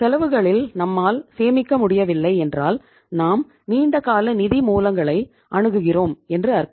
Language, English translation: Tamil, On the other side if we are not able to save up on the cost it means say we are resorting to the long term sources of funds